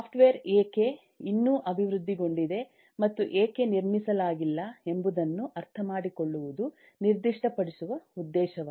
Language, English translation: Kannada, so to specify the specific objective would be to understand why software is still developed and not constructed